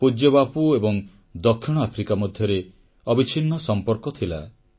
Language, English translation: Odia, Our revered Bapu and South Africa shared an unbreakable bond